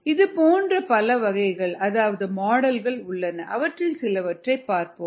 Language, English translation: Tamil, there are many such models and ah, we will see some of them